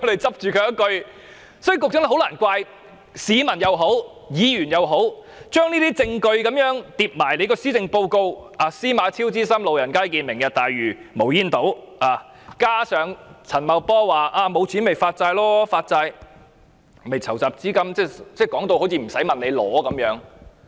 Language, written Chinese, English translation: Cantonese, 所以，局長很難怪市民和議員將這些證據與施政報告拼在一起，司馬昭之心路人皆見："明日大嶼"、無煙島，加上陳茂波說沒有錢便發債籌集資金，說到好像無須申請撥款一樣。, Hence the Secretary can hardly blame the public and Members for associating these pieces of evidence with the Policy Address . The villains trick is obvious to all given Lantau Tomorrow the smoke - free islands coupled with Paul CHANs remark that should there be a lack of money bonds can be issued to raise funds as though there is no need to make any funding application